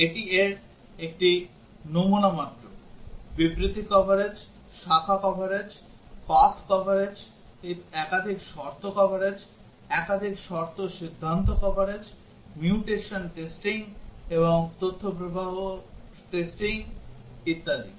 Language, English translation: Bengali, This is just a sample of this statement coverage, branch coverage, path coverage, multiple condition coverage, multiple condition decision coverage, mutation testing, and data flow testing, and so on